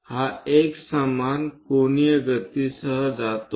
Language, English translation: Marathi, It goes with uniform angular velocity